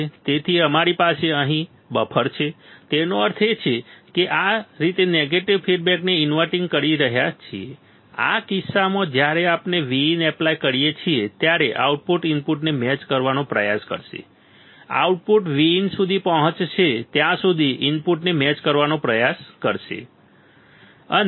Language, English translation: Gujarati, So, V have here is nothing, but a buffer; that means, that what it says that the inverting this way negative feedback in this case the when we apply V in the output will try to match the input the output will try to match the input until it reaches the V in, right